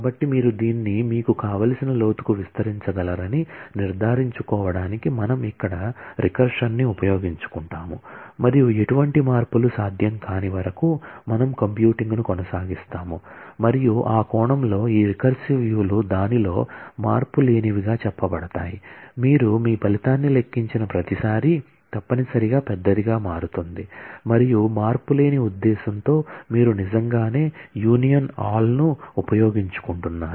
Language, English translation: Telugu, So, we make use of the recursion here to make sure that you can actually extend this to whatever depth you want and to compute this we keep on computing till no changes are possible and in that sense this recursive views are said to be monotonic in that every time you compute your result necessarily becomes larger and that is the reason you for the purpose of being monotonic you are actually making use of the union all